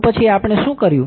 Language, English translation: Gujarati, Then what we did